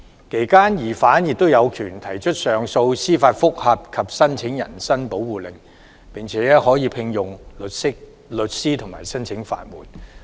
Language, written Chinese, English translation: Cantonese, 其間疑犯有權提出上訴、司法覆核及申請人身保護令，並可委聘律師及申請法援。, During the process a suspect has the right to appeal file for judicial review apply for habeas corpus engage lawyers or apply for legal aid